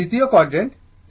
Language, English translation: Bengali, This is second quadrant